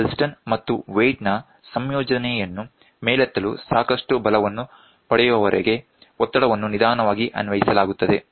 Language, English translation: Kannada, The pressure is applied gradually until enough force is attained to lift the piston and the weight combination